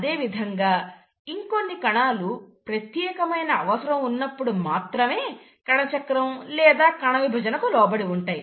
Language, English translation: Telugu, But then, there are certain cells which undergo cell cycle or cell division only if there’s a demand